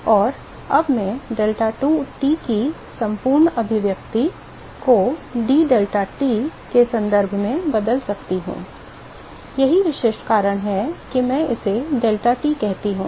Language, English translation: Hindi, And now I can replace the whole expression in terms of d deltaT in terms of deltaT this is specific reason why I call it deltaT